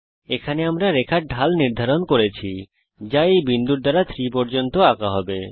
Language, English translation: Bengali, Here we are setting the slope of the line that will be traced by this point to 3